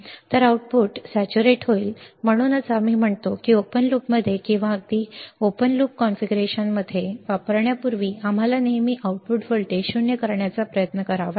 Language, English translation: Marathi, So, output will be saturated, that is why before we use it in open loop or even in a closed loop configuration we have to always try to null the output voltage